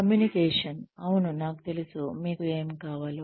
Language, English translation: Telugu, Communication, yes I know, what you want